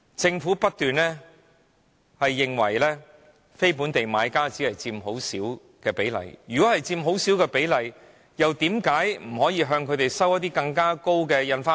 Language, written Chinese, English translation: Cantonese, 政府不斷表示非本地買家只佔很小比例，但如果他們只佔很小比例，為甚麼不可以向他們徵收更高的印花稅？, The Government insists that non - local buyers only represent a very small proportion of all buyers . But if they only represent a small proportion why cant the Government impose a higher stamp duty on them?